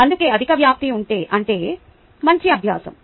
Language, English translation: Telugu, that is why a higher amplitude means better learning